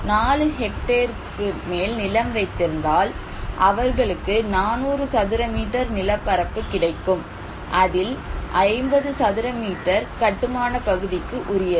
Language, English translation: Tamil, Farmers with more than 4 hectare land holding, they can get 400 square meters plot area and construction area would be 50 square meters